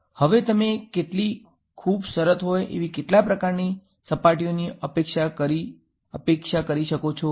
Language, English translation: Gujarati, Now how many kinds of surfaces do you expect very simply